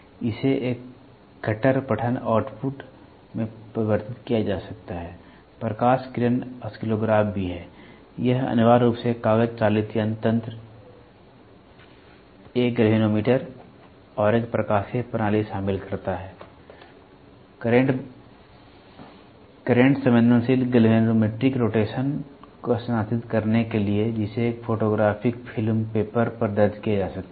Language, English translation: Hindi, This can also be converted into a hardcore reading output light beam oscillographs are also there this essentially comprises a paper driven mechanism, a galvanometer and an optical system for transmitting current sensitive galvanometric rotation to a displacement that can be recorded on a photographic film paper